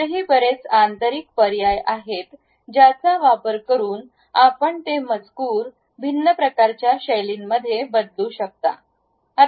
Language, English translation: Marathi, There are many more options also internally where you can change that text to different kind of styles